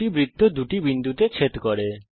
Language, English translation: Bengali, Two circles intersect at two points